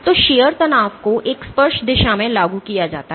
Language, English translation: Hindi, So, shear stress is applied in a tangential direction